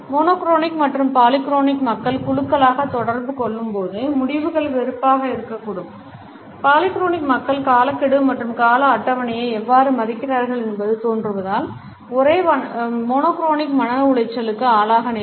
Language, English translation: Tamil, When monochronic and polyphonic people interact in groups the results can be frustrating, monochromic people can become distressed by how polyphonic people seem to disrespect deadlines and schedules